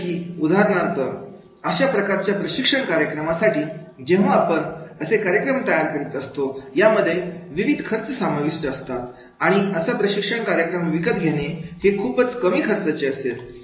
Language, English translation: Marathi, Like for example, this type of the training programs, so making the training programs that will have the different costs and the buying the training programs that will be the much lower cost